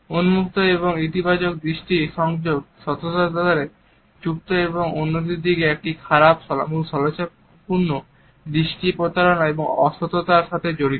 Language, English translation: Bengali, Open and positive eye contact is associated with honesty and on the other hand a poor in shifty eye contact is associated with deceit and dishonesty